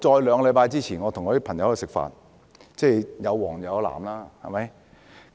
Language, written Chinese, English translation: Cantonese, 兩個星期前我和朋友吃飯，其中有"黃"有"藍"。, Two weeks ago I had a meal with friends who belonged respectively to the yellow and blue camps